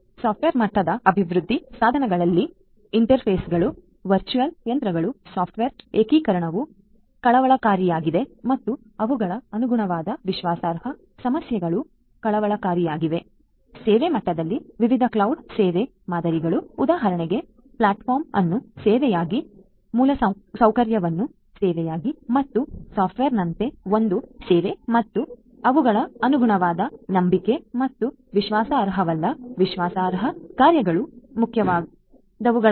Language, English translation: Kannada, At the software level development tools, interfaces, virtual machines, software integration are of concerned and their corresponding trust issues are of concern and at the services level different cloud service models for example like the platform is the service, infrastructure as a service and software service and their corresponding trust and that not only trustworthy, trust functionalities are of prime concerned